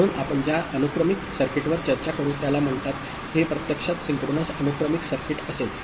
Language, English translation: Marathi, So, the sequential circuit that we shall discuss it is called it will be actually synchronous sequential circuits